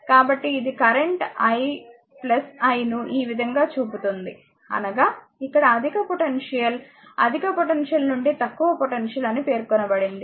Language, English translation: Telugu, So, it is showing current your plus i this way; that is, higher potential to here it is mentioned that higher potential to lower potential, right